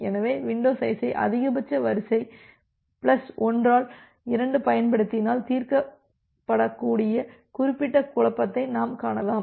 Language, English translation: Tamil, So, we can see that particular confusion which was there that can get resolved if I using window size as max sequence plus 1 by 2